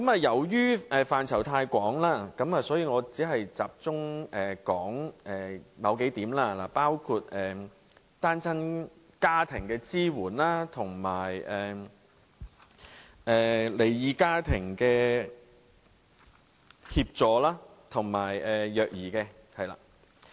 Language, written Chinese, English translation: Cantonese, 由於涉及的範疇太廣，所以我只會集中說數點，包括對單親家庭和離異家庭的支援，以及虐兒方面。, As the scope of this Report is really wide I will only highlight a few points including support to single - parent families and split families as well as child abuse